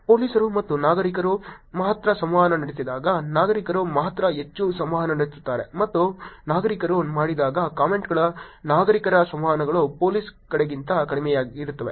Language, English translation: Kannada, When police does and only citizens, citizens only interact it's higher and when citizens does only citizens interactions of the comments are also lower than the police side